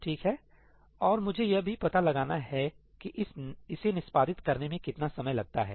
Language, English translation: Hindi, Alright, and I also want to figure out how long it takes to execute this